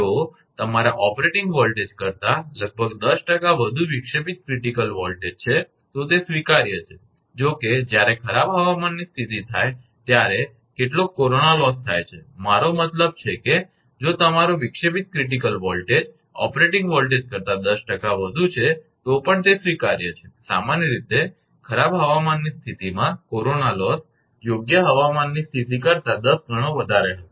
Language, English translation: Gujarati, If the disruptive critical voltage of about 10 percent more than the your operating voltage, then it is acceptable even though some corona loss will take place when foul weather condition, I mean if your disruptive critical voltage 10 percent more than the operating voltage then still it is acceptable, even though some corona loss will take place under foul weather condition